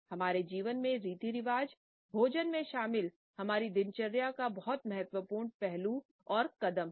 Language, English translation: Hindi, Rituals which involve food are very important aspects of our routine and significant steps in our life